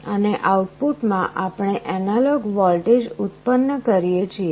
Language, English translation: Gujarati, And in the output, we generate an analog voltage